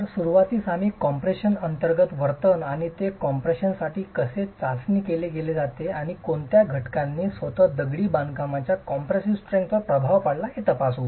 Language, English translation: Marathi, So, to begin with we will examine behavior under compression and how it's tested for compression and what factors influence the compressive strength of masonry itself